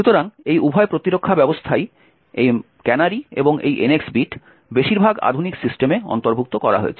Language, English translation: Bengali, So, both this defense mechanisms the canaries as well as the NX bit are incorporated in most modern systems